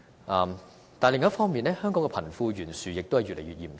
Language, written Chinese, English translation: Cantonese, 但是，另一方面，香港的貧富懸殊亦越來越嚴重。, However on the other hand disparity between the rich and the poor has been widening in Hong Kong